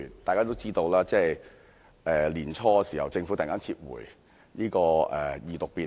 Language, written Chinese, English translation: Cantonese, 眾所周知，年初時政府突然撤回《條例草案》的二讀。, As we all know the Government suddenly withdrew the Bill scheduled for a debate on its Second Reading at the beginning of the year